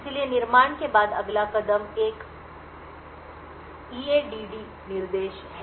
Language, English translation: Hindi, So, after creation is done the next step is an EADD instruction